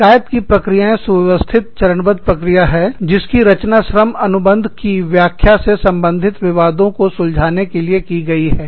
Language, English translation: Hindi, Grievance procedures are, systematic step by step procedures, designed to settle disputes, regarding the interpretation of the labor contract